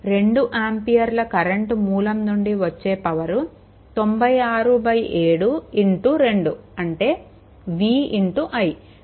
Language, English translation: Telugu, And power supplied by 2 ampere current source is 90 it is v into i